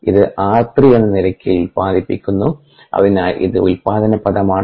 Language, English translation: Malayalam, now this is being generated at the rate of r three and therefore this is the generation term